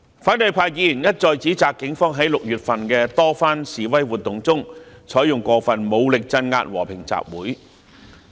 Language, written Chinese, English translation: Cantonese, 反對派議員一再指責警方在6月份的多番示威活動中，採用過分武力鎮壓和平集會。, Opposition Members have repeatedly accused the Police of using excessive force to suppress peaceful assemblies in many protests in June